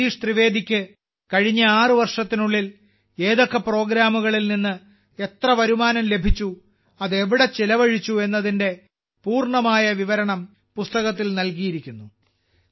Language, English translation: Malayalam, The complete account of how much income Bhai Jagdish Trivedi ji received from particular programs in the last 6 years and where it was spent is given in the book